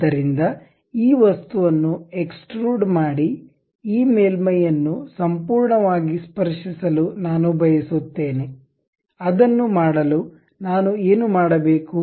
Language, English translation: Kannada, So, I would like to have a extrude of this object entirely touching this surface; to do that what I have to do